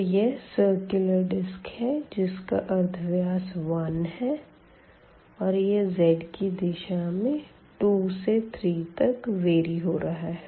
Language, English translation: Hindi, So, this is a cylinder here with radius 1 circular cylinder with radius 1 and it varies in the direction of this z from 2 to 3